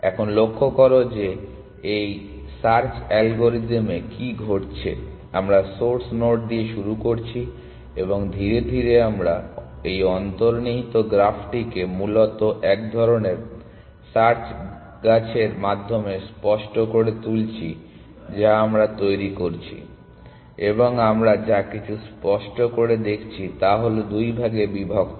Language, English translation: Bengali, Now, notice that what is happening in this search algorithm we are starting with the source node of the start state and we are gradually making this implicit graph explicit essentially by a kind of a search tree that we are generating and whatever we have made explicit is divided into two parts